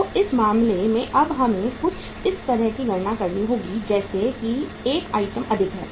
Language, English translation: Hindi, So in this case now we will have to calculate the uh something like say 1 item more